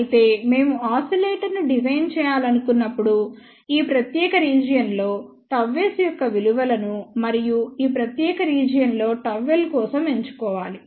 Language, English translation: Telugu, However, however, when we want to design oscillator, we have to choose the values of gamma s in this particular region and for gamma L in this particular region